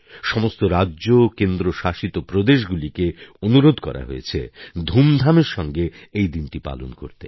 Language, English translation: Bengali, All states and Union Territories have been requested to celebrate the occasion in a grand manner